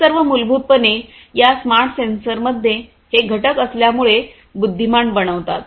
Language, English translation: Marathi, All of these basically make these smart sensors intelligent, right, by virtue of having these components in them